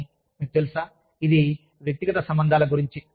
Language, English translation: Telugu, But, you know, this is what, personal relationships are all about